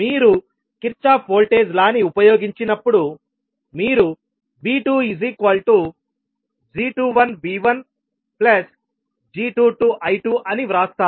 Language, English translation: Telugu, So when you use Kirchhoff’s voltage law you will write V2 as g21 V1 plus g22 I2